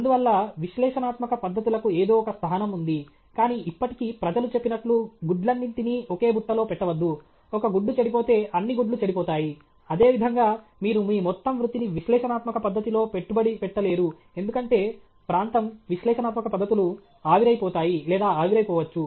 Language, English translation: Telugu, Therefore, analytical methods have some place, but still you cannot, I mean, just as they say you should not put all your eggs in one basket, then if one egg is spoilt, all the eggs will get spoilt; similarly, you cannot invest your whole career on analytical method because the area analytical methods may themselves vaporize or evaporate